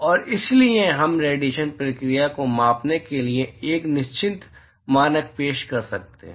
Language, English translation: Hindi, And therefore, we can introduce a, certain standard for quantifying the radiation process